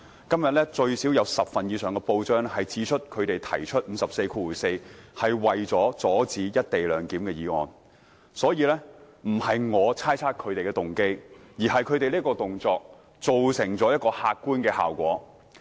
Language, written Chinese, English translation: Cantonese, 今天最少有10份以上的報章指出，他們提出第544條是為了阻止"一地兩檢"的議案，所以，不是我猜測他們的動機，而是他們這個動作造成一個客觀效果。, It was reported in at least 10 newspapers today that they proposed the motion under RoP 544 in order to impede the motion on the co - location arrangement . So I am not imputing motives to them but their action created an objective effect